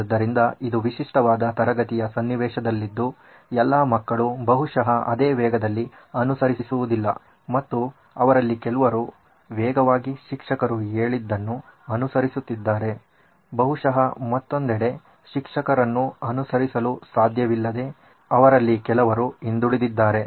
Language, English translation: Kannada, So this is a typical classroom scenario where all children probably don’t follow at the same pace and some of them are going fast, they are able to follow the teacher on the other hand maybe there are some of them are lagging behind